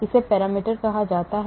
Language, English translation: Hindi, They are called parameters